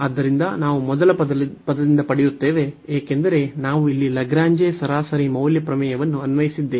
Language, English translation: Kannada, So, we will get from the first term, because we have applied the Lagrange mean value theorem here